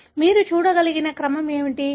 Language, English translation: Telugu, So, what is the sequence that you can see